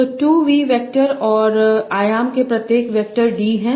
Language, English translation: Hindi, So there are 2v vectors and each vector is of dimension D